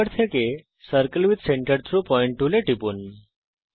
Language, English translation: Bengali, Click on the Circle with center through point tool from tool bar